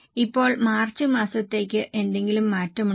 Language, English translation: Malayalam, Now, for the month of March, is there any change